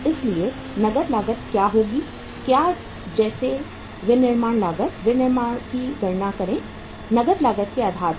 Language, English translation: Hindi, So in this case what is going to be the cash cost like say uh manufacturing, calculate the manufacturing cost on the basis of the cash cost